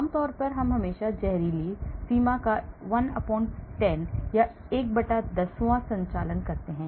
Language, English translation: Hindi, Generally, we always operate 1/10th of the toxic limits